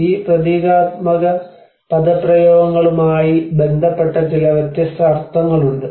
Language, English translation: Malayalam, So, like that there are some different meanings associated to these symbolic expressions